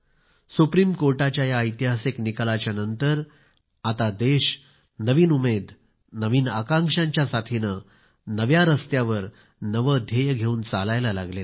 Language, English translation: Marathi, After this historic verdict of the Supreme Court, the country has moved ahead on a new path, with a new resolve…full of new hopes and aspirations